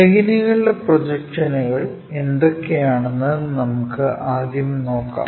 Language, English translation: Malayalam, Let us look at what are these projections of planes